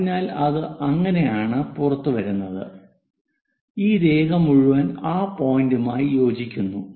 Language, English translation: Malayalam, So, that one comes out like that and this entire line coincides to that point